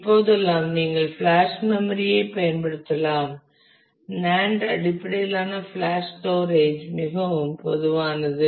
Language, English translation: Tamil, You can use flash storage nowadays the NAND based flash storage is are very common